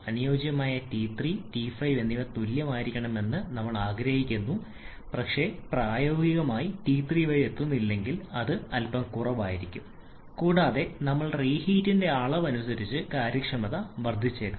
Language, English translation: Malayalam, Ideally we want T 3 and T 5 to be equal but practically if I may not reach up to T 3 it may be slightly lower and depending upon the amount of reheat we have provided efficiency may increase may decrease